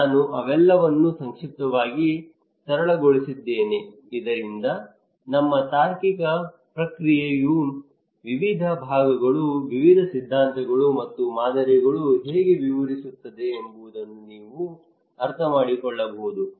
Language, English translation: Kannada, I just simplified all of them in a concise manner so that you can get an idea how this our reasoning process in brain various disciplines, various theories and models describe